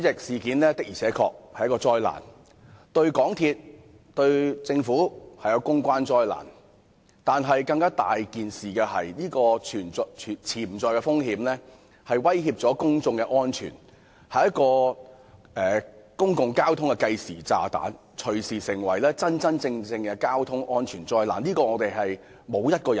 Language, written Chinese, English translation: Cantonese, 事件確實是一場災難，對港鐵公司和政府來說是公關災難，但更重要是其潛在風險威脅公眾安全，是公共交通的計時炸彈，隨時會變成真正的交通災難。, This incident is really a disaster . To the MTR Corporation Limited MTRCL and the Government it is a public relations disaster . More importantly it is a time bomb in public transport threatening public safety and may turn into a real traffic disaster anytime